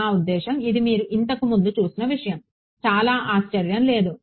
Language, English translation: Telugu, So, I mean this was something that you have already seen before not very surprising ok